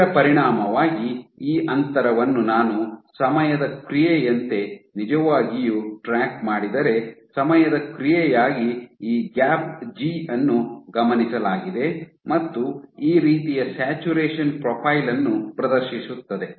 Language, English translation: Kannada, So, as a consequence this length if I actually track the gap g as a function of time, what has been observed is this g as a function of time exhibits a saturation profile like this